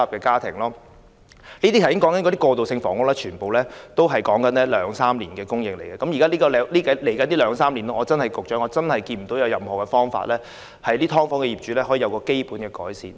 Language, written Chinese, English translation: Cantonese, 剛才提及的過渡性房屋供應，其實要花兩三年方可成事，而在未來的兩三年內，我看不到有任何方法可讓"劏房"租戶的生活得到基本改善。, The plan of providing transitional housing as mentioned earlier will take two to three years to materialize . In the meantime I fail to see how the living conditions of subdivided unit tenants can be basically improved